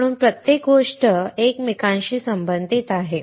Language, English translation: Marathi, That is why everything is interrelated